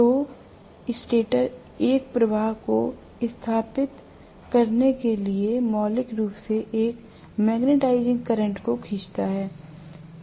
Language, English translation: Hindi, So the stator draws a magnetising current fundamentally to establish a flux